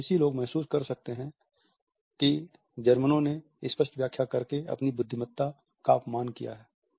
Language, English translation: Hindi, French people can feel that Germans insult their intelligence by explaining the obvious